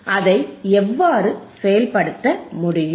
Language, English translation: Tamil, And how it can be implemented